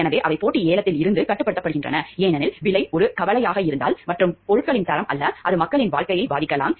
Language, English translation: Tamil, So, they are restricted from competitive bidding, because if price becomes a concern and not the goods quality of the goods it may affect life of people